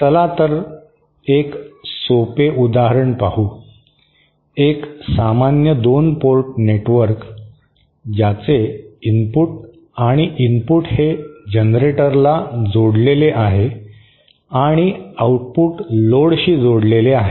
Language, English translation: Marathi, So let us see a simple example, a simple 2 port network with both its input and input connected to a generator and output connected to a load